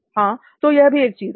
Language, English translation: Hindi, And yeah, so that is one thing